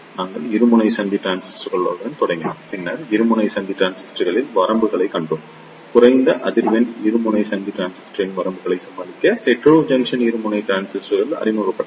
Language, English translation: Tamil, We started with Bipolar Junction Transistor, then we saw the limitations of Bipolar Junction Transistors; to overcome them limitations of low frequency bipolar junction transistor, the Heterojunction Bipolar Transistors were introduced